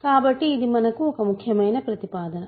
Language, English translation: Telugu, So, this is an important proposition for us